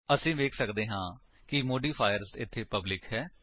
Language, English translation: Punjabi, We can see that the modifier here is public